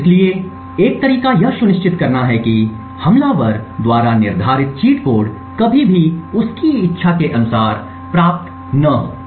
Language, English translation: Hindi, So, one way is to make sure that the cheat code set by the attacker is never obtained as per his wishes